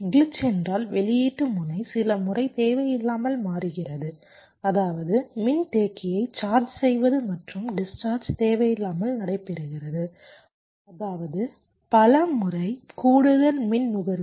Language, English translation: Tamil, glitch means the output node is changing unnecessarily a few times, which means charging and discharging of the capacitor is taking place unnecessarily that many times, which means, ah, extra power consumption